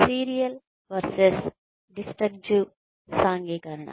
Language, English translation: Telugu, Serial versus disjunctive socialization